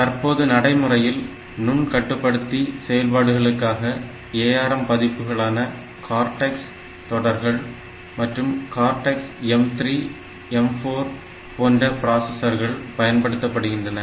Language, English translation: Tamil, So, right now or the version of ARM, that we have for microcontroller operation are these cortex series and cortex m 3, m 4 type of processors